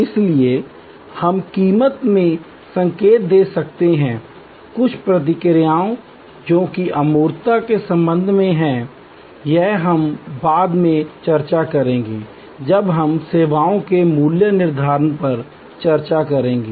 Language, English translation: Hindi, So, that we can signal in the price, some responses with respect to intangibility, this one we will discuss later when we discuss pricing of services